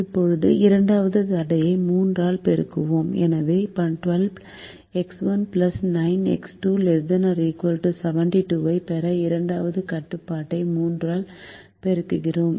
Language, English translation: Tamil, so we multiply the second constraint by three to get twelve x one plus nine x two is less than or equal to seventy two